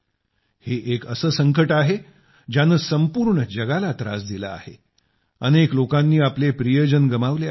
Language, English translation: Marathi, This is a crisis that has plagued the whole world, so many people have lost their loved ones